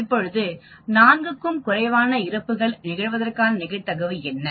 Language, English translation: Tamil, What is the probability that fewer than 4 such fatalities will occur on any particular day